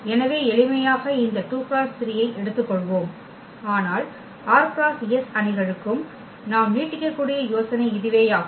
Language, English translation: Tamil, So, for simplicity let us take this 2 by 3, but the idea we can extend for r by s matrices as well